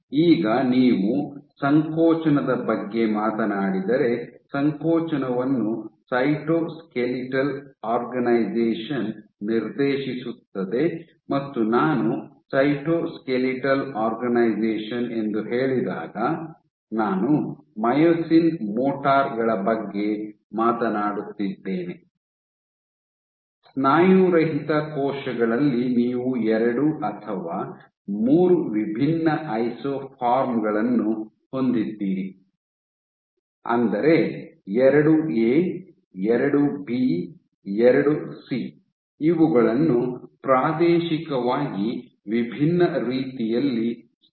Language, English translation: Kannada, Now, if you talk about contractility, contractility is dictated by cytoskeletal organization and when I say cytoskeletal organization, I am talking about myosin motors, in non muscle cells you have 2 or 3 different isoforms of myosin II A, II B, II C these localized in spatially distinct manner